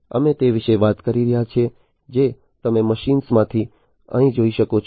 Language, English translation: Gujarati, So, we are talking about as you can see over here from machines